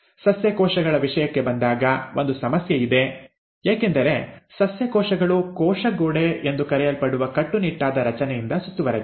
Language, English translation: Kannada, Now, there is a issue when it comes to plant cells because the plant cells are also surrounded by this rigid structure which is what we call as the cell wall